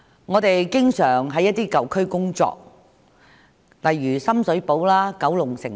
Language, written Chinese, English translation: Cantonese, 我們經常前往一些舊區例如深水埗、九龍城工作。, We often visit old urban areas such as Sham Shui Po and Kowloon City